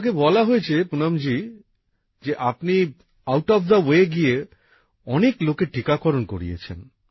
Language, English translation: Bengali, I've been told Poonam ji, that you went out of the way to get people vaccinated